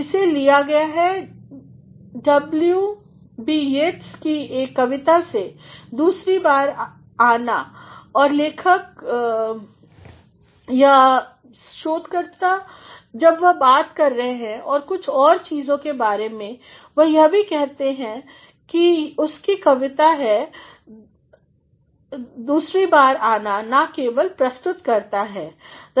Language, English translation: Hindi, Yeats’ poem the second coming and the author or the researcher while he is talking about some other things he also says, it is his poem the second coming not only presents